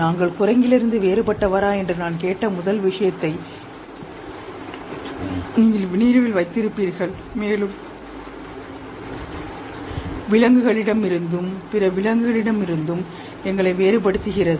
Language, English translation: Tamil, You remember the first thing itself, I asked whether we are different from ape and what differentiates us from the primates and other animals